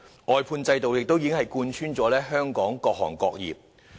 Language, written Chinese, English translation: Cantonese, 外判制度已貫穿了香港各行各業。, The outsourcing system has penetrated various industries and sectors in Hong Kong